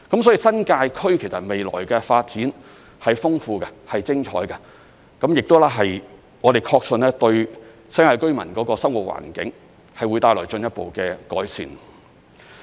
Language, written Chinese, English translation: Cantonese, 所以，新界區未來的發展是豐富的、是精彩的，我們亦確信有關發展會對新界居民的生活環境帶來進一步的改善。, So the future development of the New Territories is plentiful and splendid . We believe the development will further improve the living environment for the New Territories residents